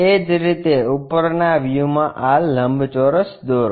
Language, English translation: Gujarati, Similarly, in thetop view draw this rectangle